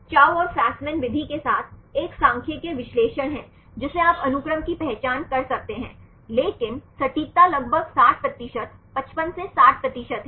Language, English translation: Hindi, With the Chou and Fasman method, is a statistical analysis you can identify the sequence, but the accuracy is about 60 percent 55 to 60 percent